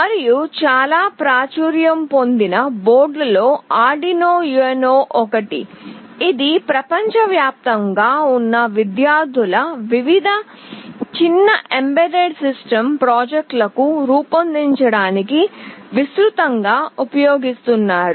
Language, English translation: Telugu, And, one of the very popular boards is Arduino UNO, which is used by the student community across the world to design various small embedded system projects